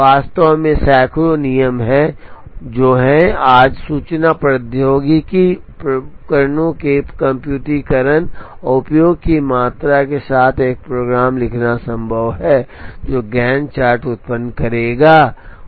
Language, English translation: Hindi, There are actually hundreds of rules that are there, and today with the amount of computerization and use of information technology devices, it is possible to write a program that will generate the Gantt chart